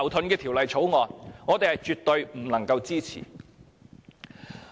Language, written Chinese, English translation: Cantonese, 因此，我們絕不能夠支持。, For that reason we cannot support its passage